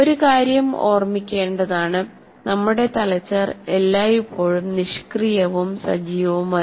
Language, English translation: Malayalam, And one thing should be remembered, our brains are constantly active